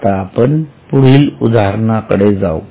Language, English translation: Marathi, Now let us go to the next one